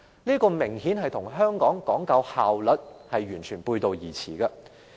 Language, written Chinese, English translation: Cantonese, 這明顯與香港講究效率的做法完全背道而馳。, It is clear that this completely goes against the efficient way of doing things in Hong Kong